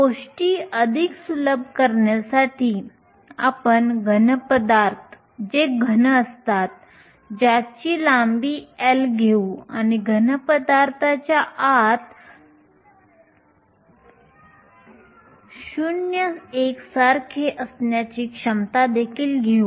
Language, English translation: Marathi, To simplify matters further we will take a solid to be a cube of length L and we will also take the potential inside the solid to be 0 uniforms